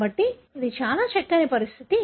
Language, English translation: Telugu, So, it is extremely difficult